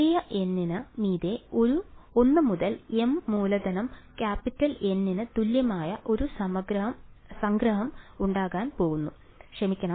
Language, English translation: Malayalam, And there is going to be a summation over small n is equal to 1 to m capital N sorry